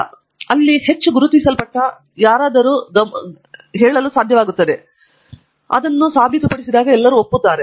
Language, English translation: Kannada, It is also not a process where, somebody highly recognized is able to tell and then everybody agrees